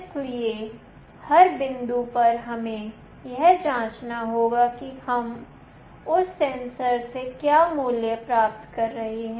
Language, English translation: Hindi, So, at every point in time, we need to check what value we are receiving from that sensor